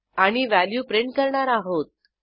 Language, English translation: Marathi, And print the value